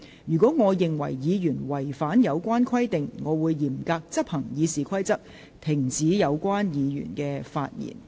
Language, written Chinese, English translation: Cantonese, 若我認為議員違反有關規定，我會嚴格執行《議事規則》，停止有關議員發言。, If I find that a Member is in breach of these provisions I will strictly enforce the Rules of Procedure and stop the Member from speaking